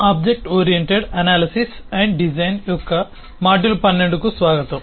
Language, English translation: Telugu, welcome to module 12 of objectoriented analysis and design